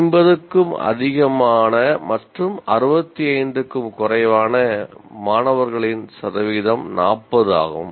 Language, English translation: Tamil, Percentage of students greater than 50 and less than 65 is 40